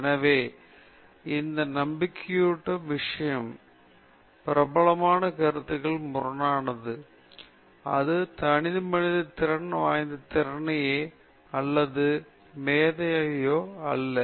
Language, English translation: Tamil, So, the reassuring thing in this is, contrary to popular perception it is not innate talent or genius that alone matters